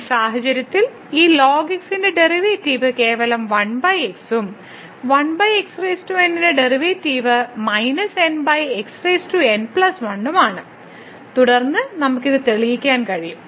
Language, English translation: Malayalam, And in this case the derivative of this is simply 1 over and then the derivative of 1 over power is minus over power and then we can simplify this